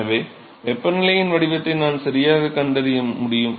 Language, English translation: Tamil, So, I should be able to find the temperature profile right